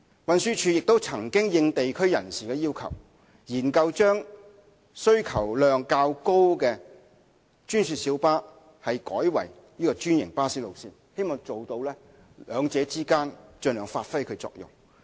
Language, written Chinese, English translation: Cantonese, 運輸署亦曾因應地區人士的要求，研究將需求量較高的專線小巴路線改為專營巴士路線，希望兩者之間盡量發揮其作用。, TD has also studied the feasibility of converting some GMB routes with high passenger demand to franchised bus routes having regard to the requests of members of the local community in the hope that the two service modes can complement each other as far as practicable